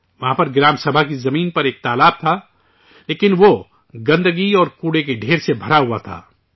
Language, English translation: Urdu, There was a pond on the land of the Gram Sabha, but it was full of filth and heaps of garbage